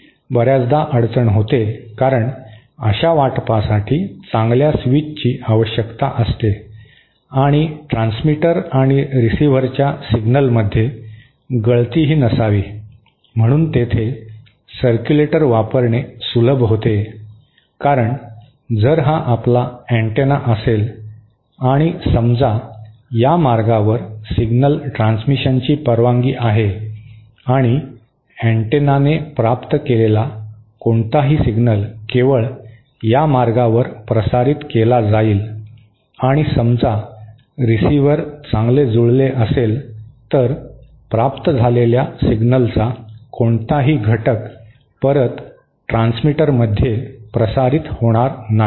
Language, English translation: Marathi, That often becomes a problem because such allocation needs good switch and there should also be no leakage between the signals of the transmitter and receiver, so there the circulator comes handy because if this is our antenna and suppose this is the path along which signal transmission is allowed and any single received by the antenna will be transmitted only along this path will be received by the antenna and suppose the receiver is well matched, then no component of the received signal will be transmitted back to the transmitter